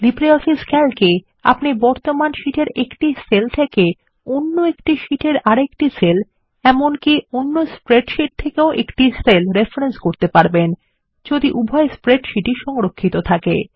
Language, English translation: Bengali, LibreOffice Calc allows you to reference A cell from another sheet to a cell in the current sheet A cell from another spread sheet If you have saved both the spreadsheets